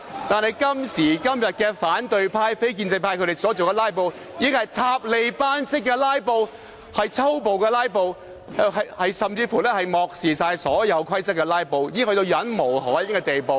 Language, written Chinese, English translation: Cantonese, 但是，今時今日反對派及非建制派所進行的"拉布"是"塔利班式的拉布"，是粗暴的"拉布"，甚至是漠視所有規則的"拉布"，已達至令人忍無可忍的地步。, And yet nowadays the filibustering staged by Members from the opposition and non - establishment camps is filibustering in Taliban style being brutal with no regard to all rules . The situation has now become utterly unacceptable